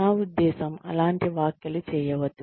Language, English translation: Telugu, I mean, do not make such comments